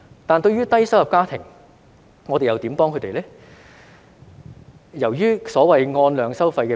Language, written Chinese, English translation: Cantonese, 但對於低收入家庭，我們又如何幫助他們呢？, But for low - income families how can we help them?